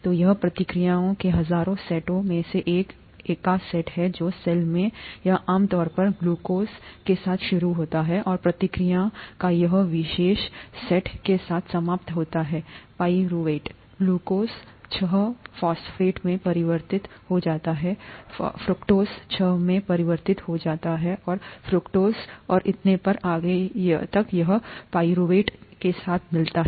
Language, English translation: Hindi, So this is one set of one of the thousands of sets of reactions that occur in the cell, its typically starts with glucose, and this particular set of reaction ends with pyruvate, glucose gets converted to glucose six phosphate, gets converted to fructose six phosphate and so on and so forth until it gets with pyruvate